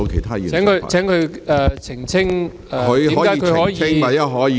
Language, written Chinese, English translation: Cantonese, 請郭議員澄清，為何他可以......, Will Mr KWOK Wai - keung please elucidate how he can